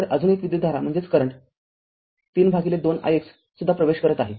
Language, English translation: Marathi, So, one right another current 3 by 2 i x is also entering